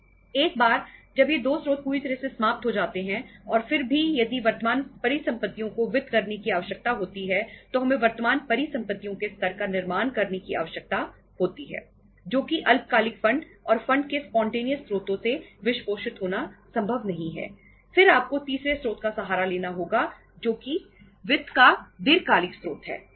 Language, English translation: Hindi, Once these 2 sources are fully exhausted and still if there is a need to finance the current assets, we need to build up the level of current assets which is not possible to be financed from the say uh short term funds and spontaneous sources of the funds, then you have to resort to the third source that is the long term sources of the finance